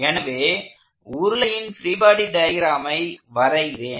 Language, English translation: Tamil, So, I am going to draw the free body diagram of the cylinder